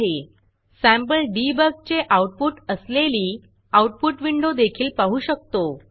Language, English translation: Marathi, We can also look at the Output window with the sample debug output